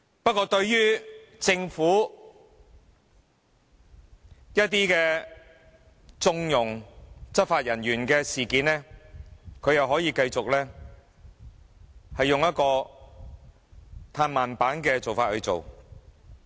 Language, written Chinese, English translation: Cantonese, 不過對於政府縱容執法人員的一些事件，他又可以繼續用"嘆慢板"的方式處理。, As for incidents in which the Government condonned law enforcement officers he continued to handle them with a slow beat